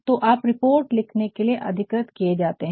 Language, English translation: Hindi, So, you are authorized to write this report